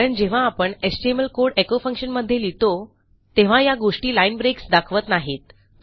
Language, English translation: Marathi, Because when you put an html code inside your echo function these bits here dont represent line breaks